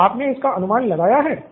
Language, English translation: Hindi, Have you guessed it